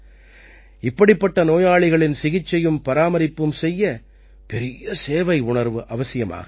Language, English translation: Tamil, The treatment and care of such patients require great sense of service